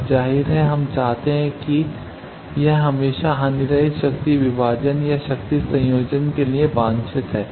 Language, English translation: Hindi, Now obviously, we will want that, it is always desired to have a lossless power divider or power combiner